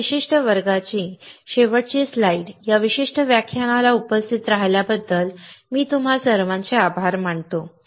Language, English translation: Marathi, So, the last slide for this particular class, I will thank you all for attending this particular lecture